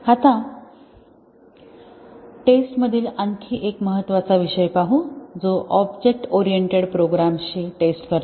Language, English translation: Marathi, Now, let us look at another important topic in testing which is testing object oriented programs